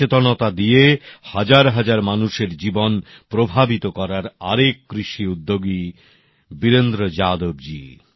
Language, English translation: Bengali, Shri Virendra Yadav ji is one such farmer entrepreneur, who has influenced the lives of thousands through his awareness